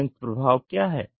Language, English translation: Hindi, What is a combined effect